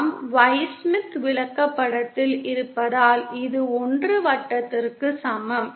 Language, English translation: Tamil, This is G equal to 1 circle since we are on the Y Smith chart